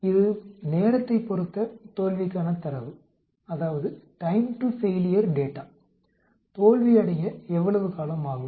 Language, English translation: Tamil, It is a time to failure data, how long it will take to fail